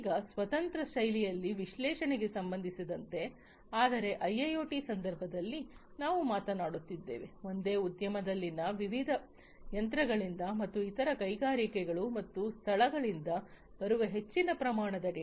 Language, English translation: Kannada, Now, with respect to this analytics again, analytics in a a standalone fashion have been there, but in the context of a IIoT we are talking about a large volume of data coming from different machines in the same industry and different other industries and different locations and so on